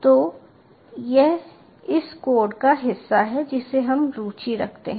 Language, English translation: Hindi, so this is the part of the code we are interested in